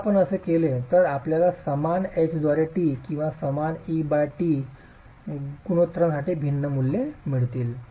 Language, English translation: Marathi, So if if you were to do that you will get values that are different for same H by T or same E by T ratios